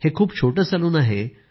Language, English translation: Marathi, A very small salon